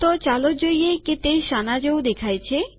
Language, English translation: Gujarati, So lets see what it looks like